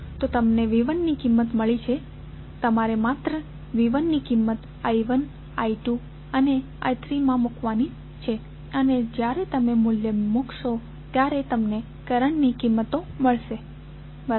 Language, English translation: Gujarati, So, you have got the value of V 1 simply you have to put the values of V 1 in I 1, I 2 and I 3 and when you will put the value you will get the values of currents, right